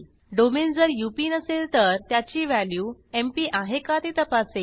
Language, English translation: Marathi, If domain is not UP, it checks whether the value of domain is MP